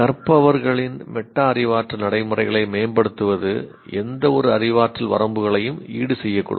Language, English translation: Tamil, Improving a learner's metacognitive practices may compensate for any cognitive limitations